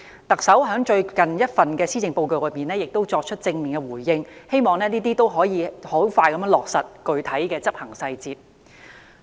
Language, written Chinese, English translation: Cantonese, 特首在最近一份施政報告已作出正面回應，我希望能迅速落實具體執行細節。, The Chief Executive has already responded positively to this idea in her latest Policy Address . I hope she can finalize the technicalities of implementation as early as possible